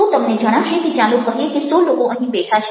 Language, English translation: Gujarati, so you find that, lets say, hundred people are sitting over here